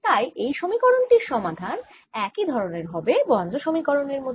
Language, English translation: Bengali, all these equations are absolutely similar to this poisson's equation